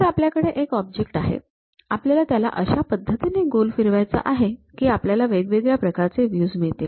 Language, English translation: Marathi, So, we have an object, we have to rotate in such a way that we will have different kind of views